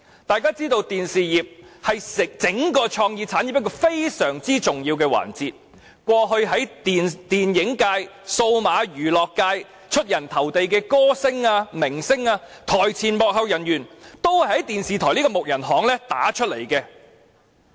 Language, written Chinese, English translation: Cantonese, 大家也知道電視業是整個創意產業一個非常重要的環節，過去在電影界、數碼娛樂界出人頭地的歌星、明星、台前幕後工作人員，全都首先在電視台這"木人巷"打響名堂。, As we all know the television industry plays a very important part of the whole creative industry and all singers celebrities members of front - stage and backstage staff who hit great success in the movie and digital entertainment industries have all built up their fame first when they were working as trainees in television stations